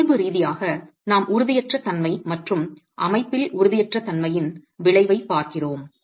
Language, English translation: Tamil, Physically we are looking at instability and the effect of instability in the system